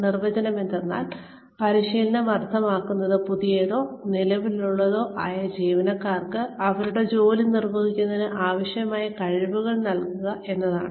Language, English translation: Malayalam, The definition is, training means, giving new or current employees, the skills they need, to perform their jobs